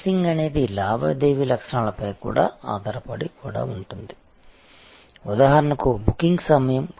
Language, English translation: Telugu, Fencing could be also based on transaction characteristics, for example time of booking